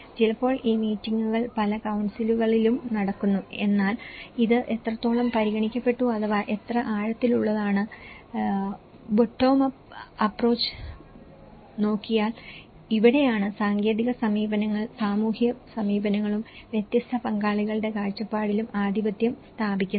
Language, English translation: Malayalam, Sometimes, these meetings do held in many councils but then to what extent this has been considered and how depth these are, the bottom up approaches and this is where the technical approaches dominates with the social approaches as well the perspective of different stakeholders